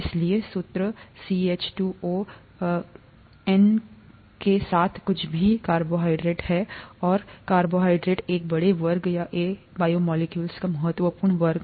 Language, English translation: Hindi, So, anything with a formula N is a carbohydrate and carbohydrates are a large class or an important class of biomolecules